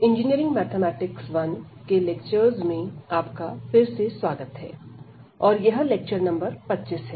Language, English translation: Hindi, So, welcome back to the lectures on Engineering Mathematics 1, and this is lecture number 25